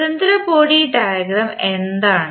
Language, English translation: Malayalam, What is free body diagram